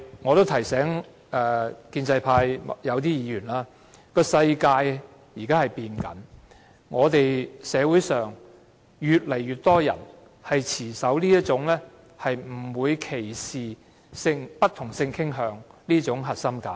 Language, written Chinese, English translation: Cantonese, 我亦想提醒建制派某些議員，世界正在改變，社會上越來越多人持守"不歧視不同性傾向人士"的核心價值。, I would also like to remind some Members of the pro - establishment camp that the world is changing and that more and more people are upholding the core value of non - discrimination against people with different sexual orientation